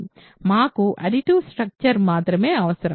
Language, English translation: Telugu, We only needed additive structure